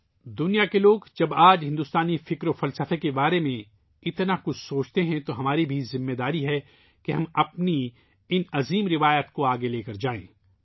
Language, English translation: Urdu, when the people of the world pay heed to Indian spiritual systems and philosophy today, then we also have a responsibility to carry forward these great traditions